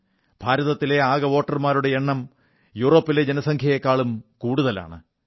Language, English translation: Malayalam, The total number of voters in India exceeds the entire population of Europe